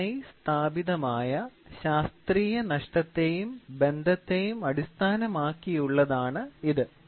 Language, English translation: Malayalam, So, it is strictly based on well established scientific loss and relationship